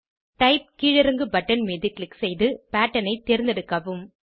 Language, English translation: Tamil, Click on Type drop down button and select Pattern